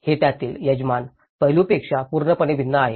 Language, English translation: Marathi, It is completely different from the host aspect of it